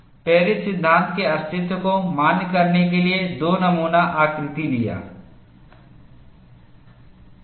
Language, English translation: Hindi, Two specimen configurations have been taken to validate the existence of Paris law